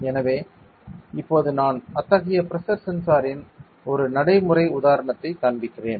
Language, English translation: Tamil, So, now I will be showing a practical example of a pressure sensor like that